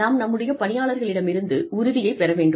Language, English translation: Tamil, We need to get commitment from our employees